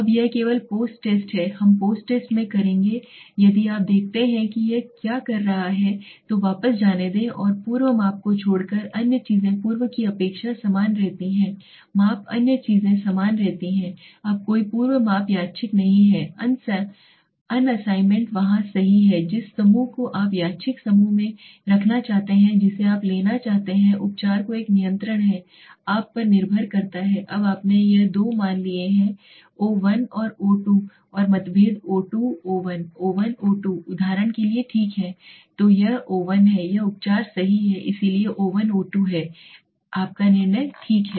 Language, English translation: Hindi, Now this is only post test we will do in the post test if you see what it is doing is let s go back and see except for pre measurement other things remains the same expect for the pre measurement other things remains the same now there is no pre measurement random assignment is there right to which group you want to put in the random group you want to take treatment which one is control is up to you now you have taken this two values o1 and o2 and the differences o2 o1 o1 o2 for example right okay so this is o1 this is the treatment right so o1 o2 is your decide result okay